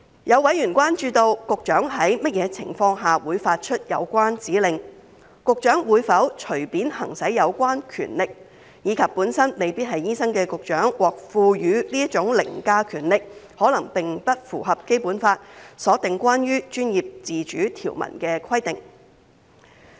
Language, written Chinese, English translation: Cantonese, 有委員關注到，局長在甚麼情況下會發出有關指令，局長會否隨便行使有關權力，以及本身未必是醫生的局長獲賦予這種凌駕權力，可能並不符合《基本法》所訂關於專業自主條文的規定。, Concerns have been raised as to under what circumstances the Secretary will issue such directives whether the Secretary will exercise such power arbitrarily and the likelihood that the conferment of such overriding power on the Secretary who may not necessarily be a doctor may not be in conformity with the provision concerning professional autonomy stipulated in the Basic Law